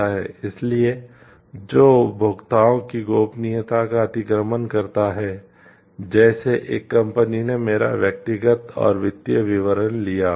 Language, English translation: Hindi, So, which encroaches upon the privacy of the consumers, like one company may have taken my personal and financial details